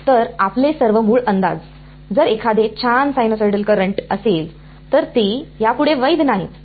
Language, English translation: Marathi, So, all your original approximations if a nice sinusoidal current, they are no longer valid